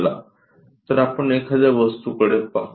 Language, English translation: Marathi, So, let us look at an object